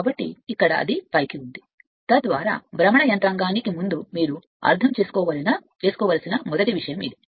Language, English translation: Telugu, So, here it is upward, so that that is the first thing this thing you have to understand before that mechanism of rotation